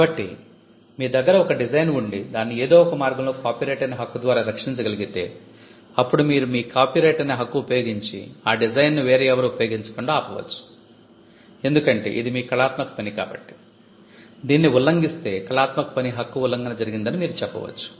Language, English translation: Telugu, So, if you have a design and if by some means you can protected by a copyright, then you can stop people from using that design through your copyright, because it is an artistic work you can say that there is infringement of your artistic work